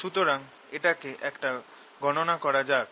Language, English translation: Bengali, so let us calculate that now